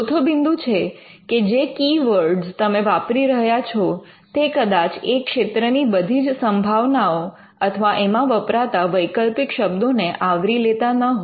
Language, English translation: Gujarati, Fourthly the keywords that you use may not cover all or capture all the variants in that particular field